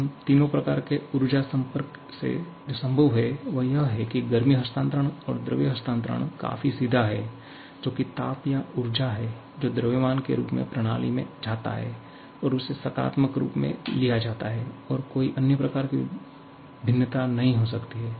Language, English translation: Hindi, Now, out of all these three kinds of energy interaction that are possible, heat transfer and mass transfer are all quite straightforward that is a heat or energy in the form of mass going into the system is taken as positive